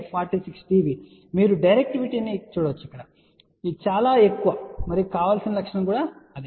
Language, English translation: Telugu, So, you can see that the directivity here is very, very high and that is what is the desired characteristic